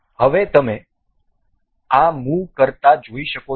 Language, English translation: Gujarati, And now you can see this moving